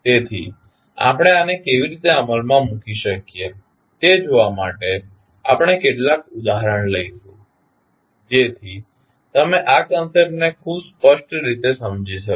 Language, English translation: Gujarati, So, to see how we can implement this we will take couple of example so that you can understand this concept very clearly